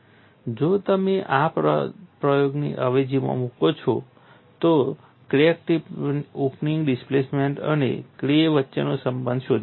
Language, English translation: Gujarati, If you substitute those expressions, you can find the relationship between the crack tip opening displacement and K